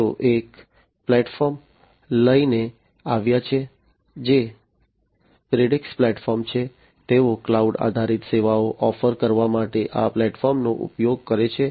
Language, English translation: Gujarati, They have come up with a platform which is the Predix platform, they use this platform this is their platform for offering cloud based services